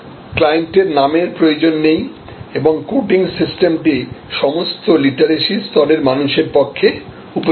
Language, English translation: Bengali, The client name is not even needed and the coding system is suitable for people of all literacy level